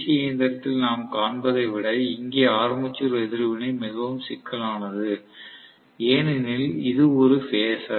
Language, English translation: Tamil, Armature reaction here is much more complex than what we see in a DC machine because it is a phasor, right